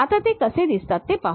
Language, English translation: Marathi, Now, let us look at how they look like